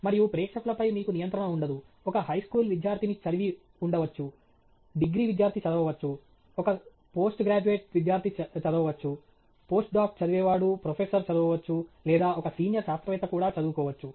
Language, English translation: Telugu, And you have no control on audience; you could have a high school student reading it, you could have a undergraduate student reading it, a postgraduate student reading it, a post doc reading it, a professor reading it or even a senior scientist reading it